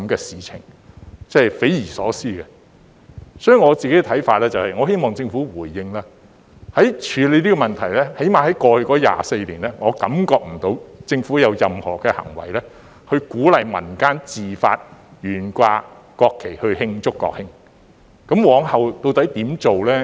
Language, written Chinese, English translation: Cantonese, 所以，我希望政府回應，在處理這問題上，至少在過去24年，我感覺不到政府有任何的行為是鼓勵民間自發懸掛國旗以慶祝國慶，往後究竟會如何做呢？, Therefore I hope that the Government will give a response . In dealing with this issue at least in the past 24 years I do not feel that the Government has done anything to encourage the public to display the national flags in celebration on the National Day . What will the Government do in future?